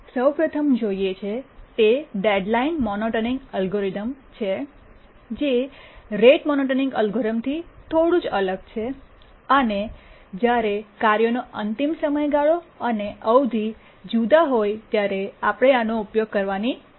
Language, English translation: Gujarati, The first one we look at is the deadline monotonic algorithm, just a small variation of the rate monotonic algorithm and this we need to use when the task deadline and periods are different